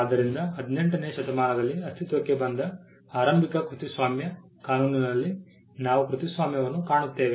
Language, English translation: Kannada, So, we find the copyright the initial copyright law that came into being in the 18th century